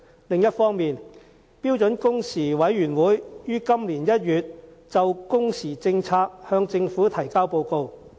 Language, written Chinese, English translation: Cantonese, 另一方面，標準工時委員會於今年1月就工時政策向政府提交報告。, On the other hand the Standard Working Hours Committee submitted its report on working hours policy to the Government in January this year